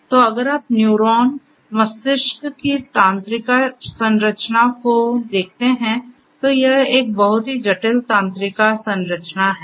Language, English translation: Hindi, So, if you look at the neuron, neural structure of the brain you know it is a very complicated neural structure